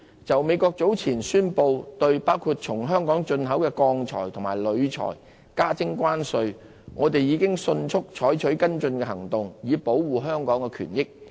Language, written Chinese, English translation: Cantonese, 就美國早前宣布對包括從香港進口的鋼鐵及鋁材徵收關稅，我們已迅速採取跟進行動，以保護香港的權益。, In respect of the tariffs recently announced by the United State on steel and aluminium imported from places including Hong Kong we have taken immediate follow - up actions to protect Hong Kongs rights and interests